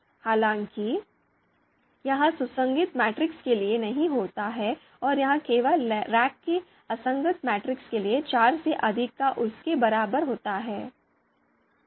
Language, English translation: Hindi, However, this does not happen for consistent matrix and it only happens for inconsistent matrices of rank greater than or equal to four